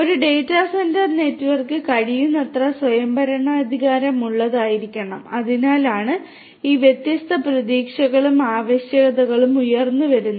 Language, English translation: Malayalam, A data centre network should be as much autonomous as possible and that is why all these different expectations and requirements are coming up